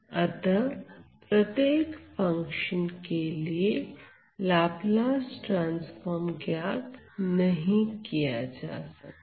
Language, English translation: Hindi, So, I have to calculate the Laplace transform of this function